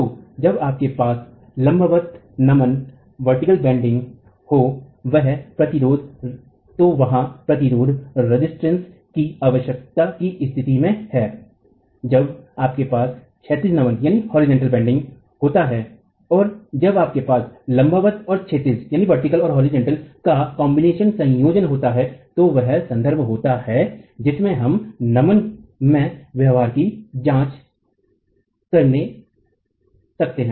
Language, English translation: Hindi, So, the case of the requirement of resistance when you have vertical bending, when you have horizontal bending and when you have a combination of vertical and horizontal bending is the context in which we are going to be examining the behavior in bending